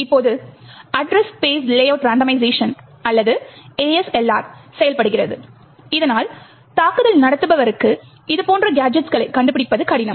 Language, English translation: Tamil, Now the Address Space Layout Randomisation or the ASLR works so as to make it difficult for the attacker to find such gadgets